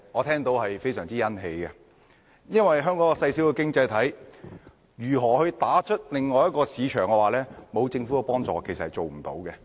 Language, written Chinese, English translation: Cantonese, 香港是一個細小的經濟體，若我們要打進另一市場，沒有政府的幫助是做不到的。, As Hong Kong is a small economy we will not be able to enter another market without the help from the Government